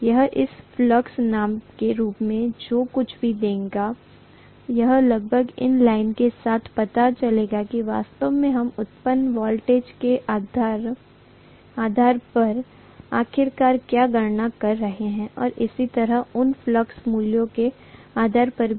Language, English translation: Hindi, Whatever it would give as the flux value will almost be you know in line with what actually we are calculating finally as the generated voltage and so on based on those flux values